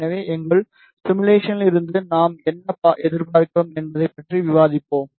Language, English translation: Tamil, So, mean while we will discuss what we are expecting from our simulation